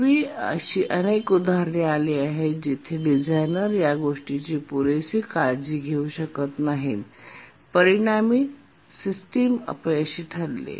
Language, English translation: Marathi, In the past, there have been many examples where the designers could not adequately take care of this and resulted in system failure